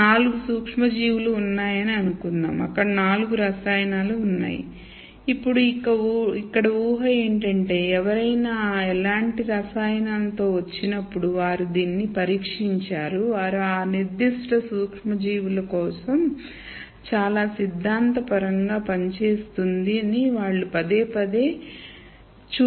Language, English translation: Telugu, So, let us say there are 4 microorganisms there are four chemicals, now the assumption here is when someone comes up with a chemical like this they have tested it, they have shown that it works for that particular microorganism very theoretically and repeatedly they have shown that it works